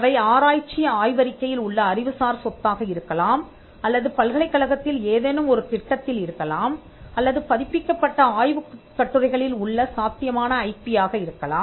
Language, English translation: Tamil, For instance, you need to identify the IP, they could be intellectual property in research thesis’s, they could be in some project in a university, they could be potential IP even in papers that are published